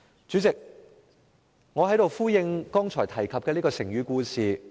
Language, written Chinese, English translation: Cantonese, 主席，讓我在此呼應我剛才提及的成語故事。, President at this point of my speech let me speak in resonance with the story behind the idiom I mentioned a moment ago